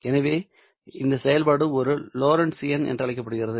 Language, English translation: Tamil, So this function is called as a Lorenzian